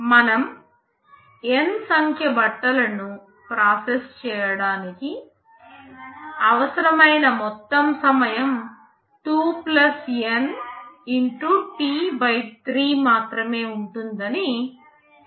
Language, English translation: Telugu, We shall be seeing in the next slide that for processing N number of clothes the total time required will be only (2 + N) T / 3